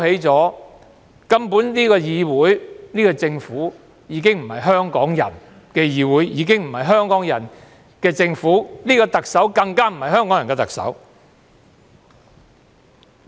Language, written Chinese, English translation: Cantonese, 這個議會和政府根本已非香港人的議會和政府，這個特首更不是香港人的特首。, This legislature and Government are simply no longer a legislature and government of Hong Kong people and this Chief Executive is even not a Chief Executive of Hong Kong people